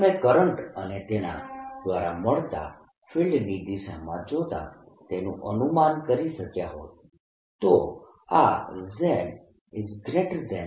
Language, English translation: Gujarati, you could have anticipated that by looking at the current and direction of the field that is given rise to